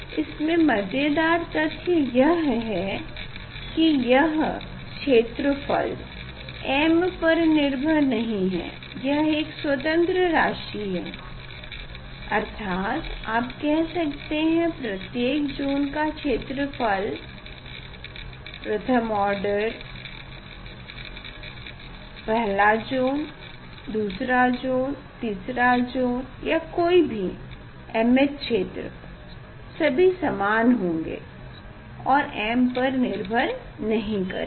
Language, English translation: Hindi, interesting fact is that this area is independent of m so; that means, you can say that area of each zone first order, first zone, second zone, third zone area or set it is independent of m area is same